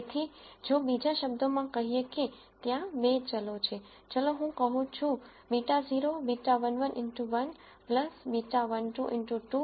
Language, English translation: Gujarati, So, in other words if let us say there are 2 variables I say beta naught beta 1 1 x 1 plus beta 1 2 x 2